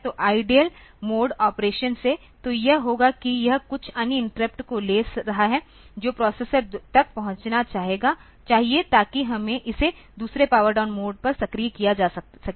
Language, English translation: Hindi, So, from idle mode operations; so, it will be it will be taking some interrupts should be reached the processor to the two to activate it on the other this power down mode